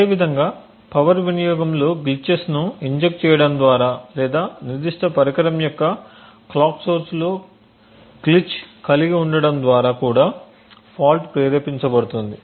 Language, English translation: Telugu, Similarly a fault can also be induced by injecting glitches in the power consumption or by having a glitch in the clock source for that specific device